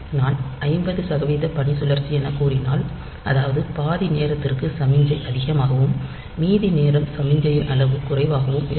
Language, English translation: Tamil, So, if I say 50 percent duty cycle that means, for half of the time, the signal high and half of the time signal is low